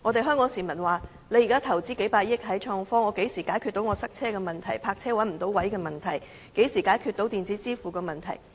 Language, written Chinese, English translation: Cantonese, 香港市民問，現時投資數百億元在創科上，那麼何時可以解決堵車的問題、泊車找不到車位的問題、電子支付的問題？, Given the tens of billions of dollars invested in innovation and technology Hong Kong people wonder when the problems related to traffic congestion the inability to find parking spaces and electronic payment can be solved